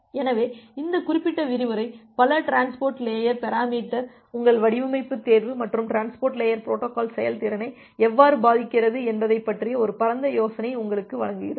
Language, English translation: Tamil, So, this gives you this particular lecture give you a broad idea about your design choice of multiple transport layer parameters and how it impacts the transport layer protocol performance